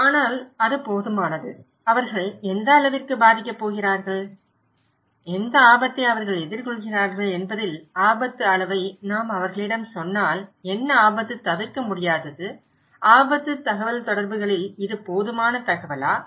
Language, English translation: Tamil, But is it enough, if we only tell them the level of risk that what extent they are going to affected and what risk they are facing therein what risk is imminent, is this enough information in risk communications